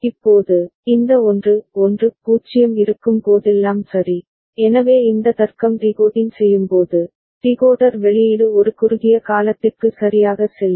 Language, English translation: Tamil, Now, whenever these 1 1 0 is there ok, so this logic decoding out, decoder output will go high for a brief period ok